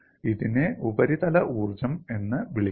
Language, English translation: Malayalam, Why do the surface energies come out